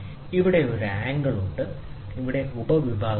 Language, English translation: Malayalam, Here is an angle, and here is the sub division